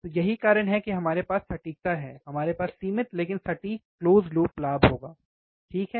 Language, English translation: Hindi, So, that is why we can have accuracy, we will have finite, but accurate close loop gain, alright